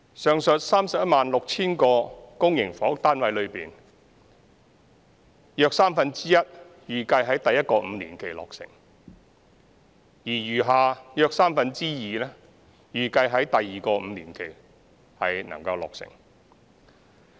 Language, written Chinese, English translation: Cantonese, 上述 316,000 個公營房屋單位中，約三分之一預計在第一個5年期落成，而餘下約三分之二預計在第二個5年期落成。, This is a good beginning . Of the aforesaid 316 000 public housing units about one third are scheduled for completion in the first five - year period whereas the other two third fall in the second five - year period